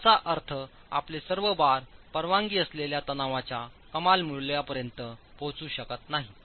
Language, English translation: Marathi, That is all your bars may not reach the maximum value of the permissible tension itself